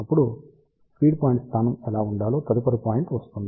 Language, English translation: Telugu, Then, comes the next point what should be the feed point location